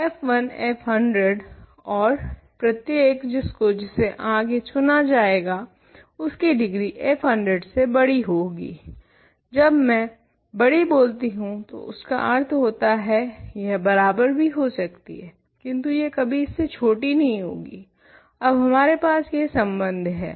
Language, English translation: Hindi, So, f 1 f 100 and 1 which is actually chosen at a later stage will have a bigger degree than f 100, when I say bigger it could be equal, but it will not be less than it could be less than or equal to we have this relation now